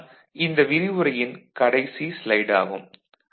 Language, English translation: Tamil, So, this is the last slide for this particular discussion